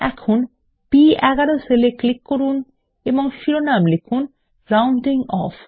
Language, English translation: Bengali, Now, click on the cell referenced as B11 and type the heading ROUNDING OFF